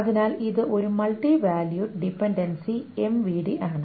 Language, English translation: Malayalam, So it is a multi valued dependency, M V D